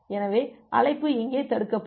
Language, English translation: Tamil, So, the call will be getting blocked here